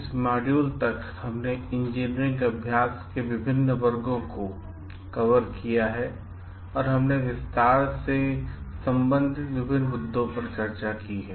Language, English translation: Hindi, Till this module we have covered different sections of engineering practice and we have discussed different issues related to it at length